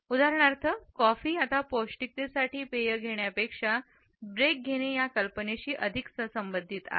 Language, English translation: Marathi, For example, coffee is now associated more with the idea of taking a break than with taking a drink for nourishment